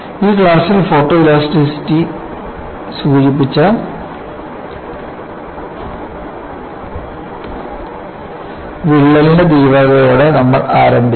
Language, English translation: Malayalam, So, in this class, we started with severity of the crack indicated by Photoelasticity